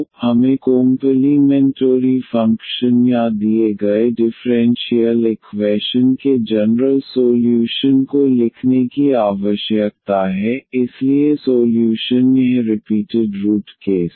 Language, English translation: Hindi, So, we need to write down the complementary function or the general solution of the given differential equation, so first this repeated root case